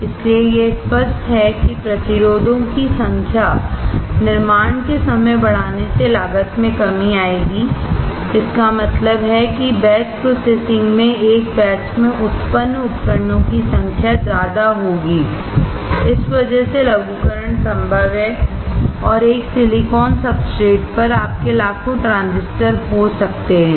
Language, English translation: Hindi, So, it is obvious that increasing the number of resistors fabrication registers at one time will decrease the cost; that means, in batch processing increased number of devices are produced in one batch and because of this miniaturization is possible and you can have millions of transistors on one silicon substrate